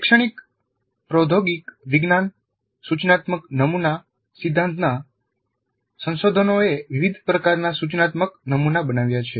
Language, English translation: Gujarati, The research into the educational technology, instruction design theory has produced a wide variety of instructional models